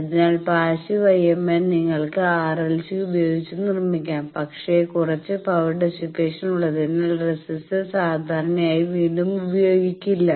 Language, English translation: Malayalam, So, in passive IMN again you can make it with R l c, but resistor is generally not used again that it has some power dissipation